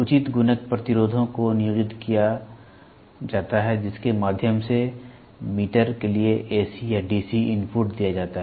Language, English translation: Hindi, Proper multiplier resistors are employed through which the AC or DC input is given to the meter